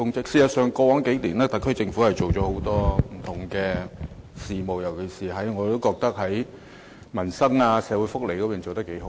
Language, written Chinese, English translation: Cantonese, 事實上，過往數年，特區政府在不同方面做了很多工作，尤其是在民生和社會福利方面做得不錯。, As a matter of fact much work has been done by the SAR Government in various aspects over the past few years and in particular good results have been achieved in improving peoples livelihood and social welfare services